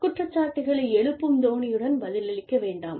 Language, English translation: Tamil, Do not respond to employ mistakes, with an accusing tone